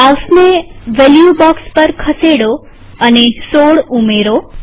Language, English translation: Gujarati, Move the mouse to the value box and enter 16